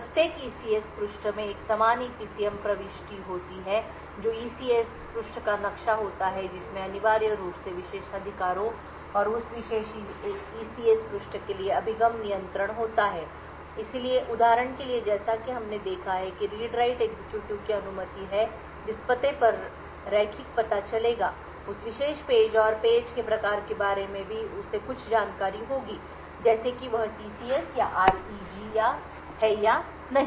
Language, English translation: Hindi, Every ECS page has a corresponding EPCM entry that is the ECS page map which contains essentially the privileges and the access control for that particular ECS page, so for example as we have seen it has the read write execute permissions the address the linear address will access that particular page and also it has some information regarding the page type such as whether it is TCS or REG or so on